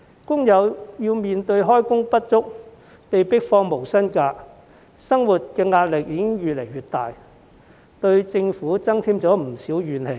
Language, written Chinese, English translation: Cantonese, 工友面對開工不足、被迫放取無薪假，生活壓力已越來越大，對政府增添不少怨氣。, Workers are living under increasing pressure because they have been underemployed and forced to take no - pay leave therefore adding to their resentment against the Government